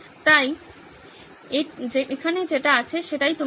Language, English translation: Bengali, So this is there, this is what you are saying